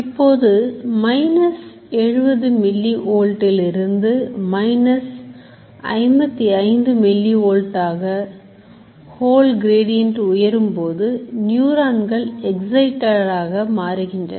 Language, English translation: Tamil, Now if from 70 mili volt, the whole gradient goes up to minus 55 milli volt, the neurons become excited